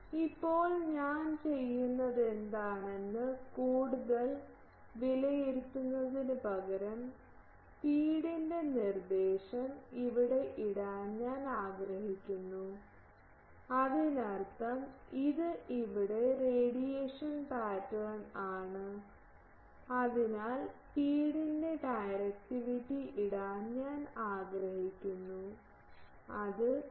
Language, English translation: Malayalam, Now, to that in instead of evaluating it further what I do, I want to put here the directivity of the feed; that means, this is radiation pattern here I want to put the directivity of the feed so, D f